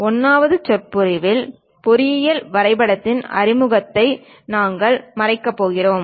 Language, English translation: Tamil, In the 1st lecture, we are going to cover introduction to engineering drawing